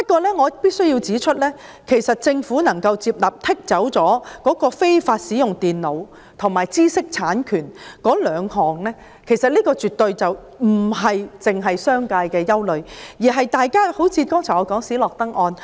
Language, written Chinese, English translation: Cantonese, 不過，我必須指出，政府接納剔除"非法使用電腦"及"知識產權"這兩項罪類，其實這兩項罪類絕對不是商界的憂慮，反而是我剛才提到的斯諾登案。, Nevertheless I must point out that although the Government has agreed to remove the items of offences involving unlawful use of computers and intellectual property these two items are actually not the concern of the business sector; rather the SNOWDEN case that I mentioned a moment ago is their concern